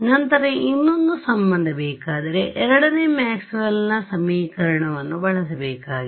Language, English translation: Kannada, If I want one more relation, I need to use the second Maxwell’s equation right